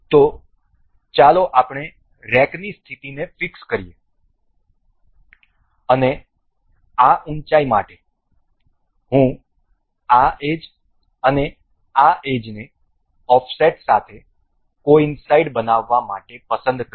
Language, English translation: Gujarati, So, let us just fix the position of rack and for this height, I will select this edge and say this particular edge to coincide with an offset